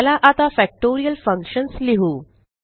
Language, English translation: Marathi, Now let us write Factorial functions